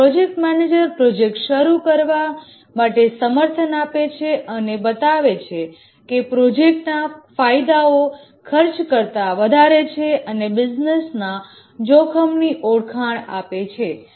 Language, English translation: Gujarati, Here the project manager provides a justification for starting the project and shows that the benefit of the project exceeds the costs and also identifies the business risks